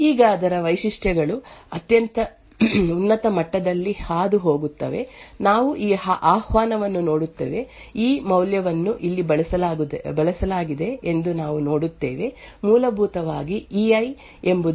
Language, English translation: Kannada, Now it features go through at a very high level, we just look at this invocation, we see that the e value is used over here, essentially e i would indicate the ith be present in e